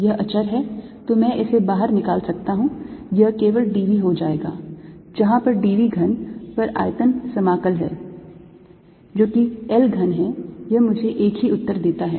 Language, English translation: Hindi, its going to be only d v, which is where the d v is the volume integral over the cube, which is l cubed, it gives me the same answer